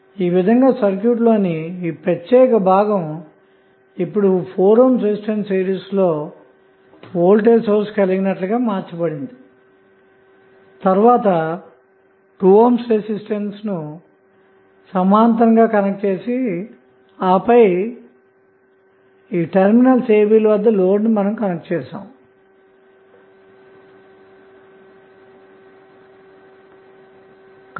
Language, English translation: Telugu, So, this particular segment is now converted into voltage source in series with 4 ohm resistance then you add 2 ohm resistance that is the part of the circuit in parallel again and this is the load component which you have connected at terminal a, b